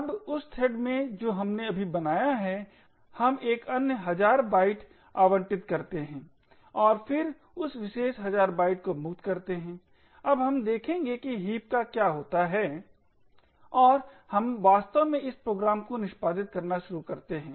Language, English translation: Hindi, Now in the thread that we just created we allocate another thousand bytes and then free that particular thousand bytes, now we will see what happens to the heap and we actually start executing this program